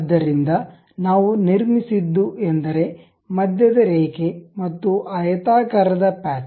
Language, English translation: Kannada, So, a centre line we have constructed, and a rectangular patch